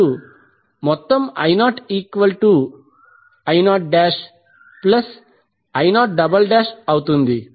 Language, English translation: Telugu, So what will be the value of I2